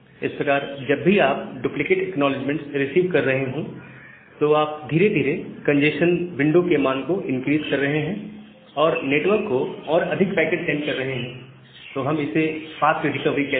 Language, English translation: Hindi, So, that way, whenever you are receiving the duplicate acknowledgements, you are gradually increasing the congestion window value and sending more packet to the network, so that we call as the fast recovery